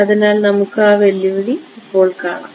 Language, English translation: Malayalam, So, you see the challenge now